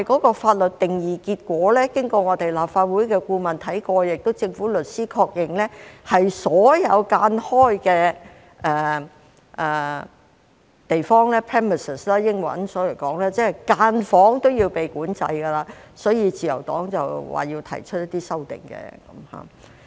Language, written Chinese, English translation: Cantonese, 但經立法會法律顧問審視法律定義及政府律師確認，結果是所有分間出來的地方，即英文 premises， 分間房也要被管制，所以自由黨要提出一些修訂。, However after examination of the legal definition of SDU by the Legislative Councils Legal Adviser and confirmation by the Government lawyers it is found that all split premises including cubicles are within the scope of regulation . Thus the Liberal Party has to propose amendments